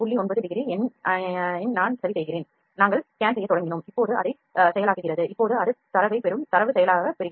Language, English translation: Tamil, 9 degrees, and we have started scan it is now processing now it is receiving the data processing it will receiving the data